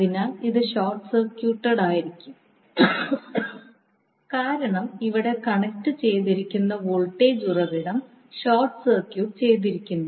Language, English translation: Malayalam, So, this will be sorted because you have a current voltage source connected which was short circuited